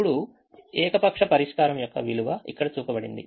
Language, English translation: Telugu, now the value for an arbitrary solution is shown here